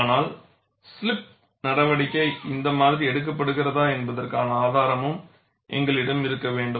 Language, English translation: Tamil, But we need, also need to have an evidence whether slipping action takes in this fashion